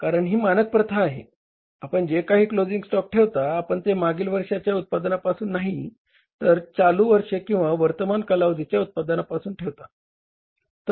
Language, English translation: Marathi, Because it is a standard practice, then whatever the closing stock you keep, you keep from the current years or current periods production, not from the previous period production